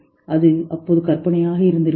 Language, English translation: Tamil, It may have been fantasy at that time